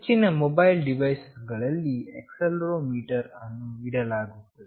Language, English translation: Kannada, In most mobile device we have this accelerometer in place